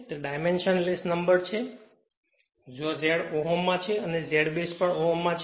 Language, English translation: Gujarati, It is dimensionless quantity, where this Z in ohm this Z base is also ohm